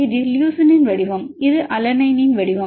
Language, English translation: Tamil, This is a shape of leucine this is the shape of alanine